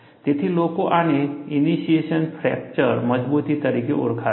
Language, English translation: Gujarati, So, people call this as initiation fracture toughness